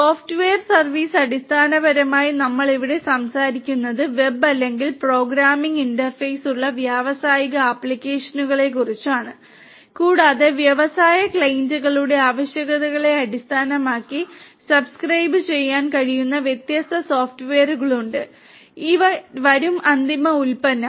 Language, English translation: Malayalam, Software as a service basically over here we are talking about industrial applications with web or programming interface and based on the requirements of the industry clients, there are different software that could be used can subscribe to and these will serve for coming up with the final product